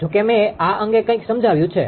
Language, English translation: Gujarati, Although something I have explained on this